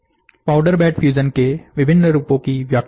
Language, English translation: Hindi, Explain the different variants of powder bed fusion